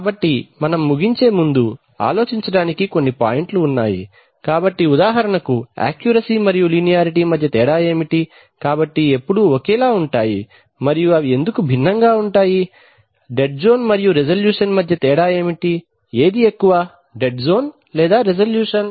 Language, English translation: Telugu, So before closing, we would like to have some points to ponder, so for example what is the difference between accuracy and linearity, so when are the same and where are they different at why, what is the difference between dead zone and resolution, which is likely to be more, dead zone or resolution